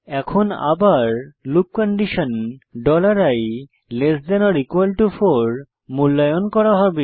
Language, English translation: Bengali, Now again, the loop condition $i=4 will be evaluated